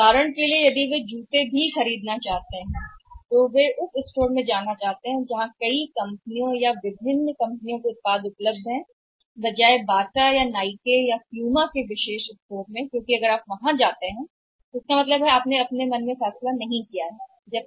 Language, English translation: Hindi, Say for example if they want to buy even shoes so they would like to go to store which is having the product of the multiple companies different companies rather than going to Bata rather going to Nike rather than going to Puma because if you go there means if you are not decided in your mind